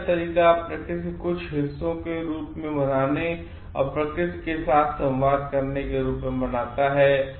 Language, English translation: Hindi, Way of devotion relates to celebrating the parts of nature as a way of being and communion with nature